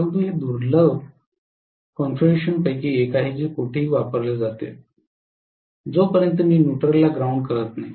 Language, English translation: Marathi, But this is one of the rarest configurations that are used anywhere, unless I ground the neutral